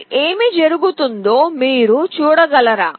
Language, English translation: Telugu, Now can you see what is happening